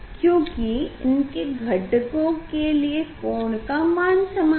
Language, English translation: Hindi, Because this component is this angle are same